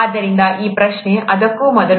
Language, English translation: Kannada, So this question, before that